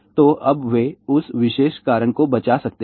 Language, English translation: Hindi, So, now, they can save that particular cause